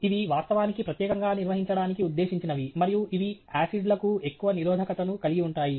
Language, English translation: Telugu, These are actually, specifically meant for handling and they are more resistant to acids